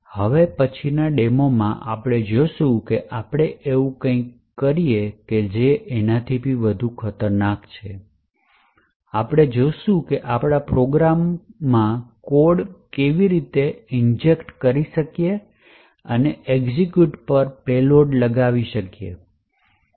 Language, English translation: Gujarati, In the next demonstration what we will see is how we could do something which is more dangerous, we would see how we could actually inject code into a program and force a payload to the executed